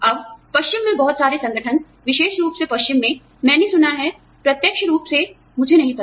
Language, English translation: Hindi, Now, a lot of organizations in the west, particularly in the west, I have heard, I do not know, first hand